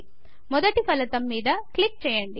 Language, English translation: Telugu, Click on the first result